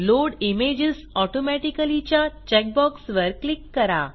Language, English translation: Marathi, Check the Load images automatically box